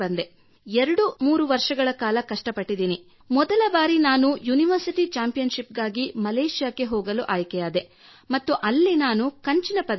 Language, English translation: Kannada, Then I struggled a lot for 23 years and for the first time I got selected in Malaysia for the University Championship and I got Bronze Medal in that, so I actually got a push from there